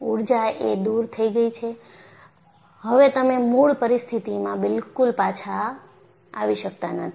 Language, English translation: Gujarati, Energy is dissipated and you cannot come back to the original situation at all